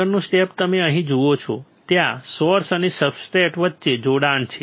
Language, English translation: Gujarati, Next step is you see here, there is a connection between source and the substrate right